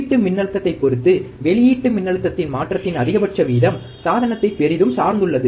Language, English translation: Tamil, Maximum rate of change of output voltage with respect to the input voltage, depends greatly on the device